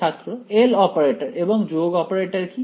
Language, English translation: Bengali, What is the L operator and a sum operator